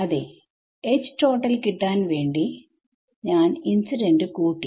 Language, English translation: Malayalam, Yeah to get H total I add incident yeah But